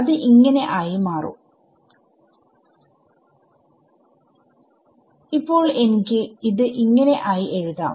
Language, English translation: Malayalam, So, let us maybe we will write it over here